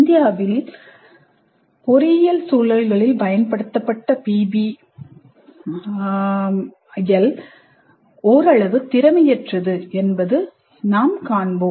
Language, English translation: Tamil, We will see that the PBI is somewhat inefficient to implement in the engineering context in India